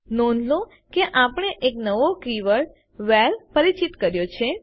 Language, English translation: Gujarati, Notice that we have introduced a new keyword WHERE